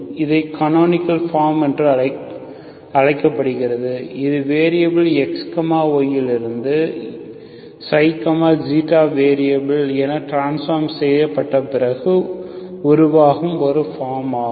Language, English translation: Tamil, So this is called canonical form canonical form, so this is a form it becomes after transformation from x, y variables to xi and Eta variables